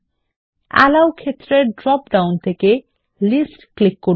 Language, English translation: Bengali, From the Allow field drop down, click List